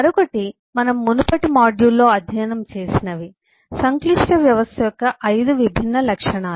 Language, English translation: Telugu, the other is what we have studied in the previous module, the 5 different attributes of the complex system